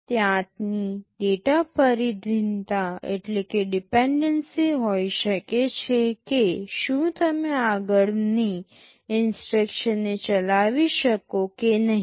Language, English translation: Gujarati, There can be data dependency whether you can feed the next instruction or not